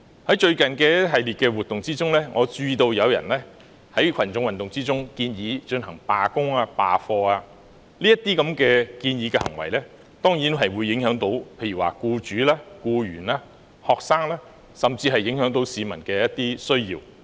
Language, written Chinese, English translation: Cantonese, 在最近的一系列活動中，我注意到有人在群眾運動中，建議進行罷工、罷課，這些建議的行為當然會影響僱主、僱員和學生，甚至會影響市民的一些需要。, In the recent series of events I noticed that some people proposed going on strike and boycotting classes in the mass movement . These proposed actions would certainly affect employers employees students and even some of the needs of members of the public